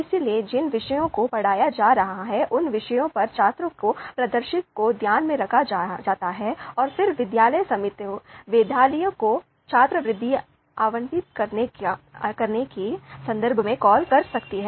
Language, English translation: Hindi, So the performance of the students on the subjects that they are being taught that can be you know taken into account and the school committee then accordingly you know they can take a call in terms of allocating scholarships to meritorious students